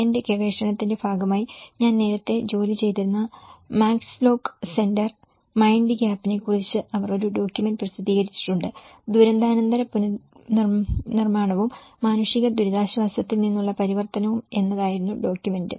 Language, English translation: Malayalam, Max lock centre, where I worked earlier as part of my research and they have published a document on mind gap; post disaster reconstruction and the transition from humanitarian relief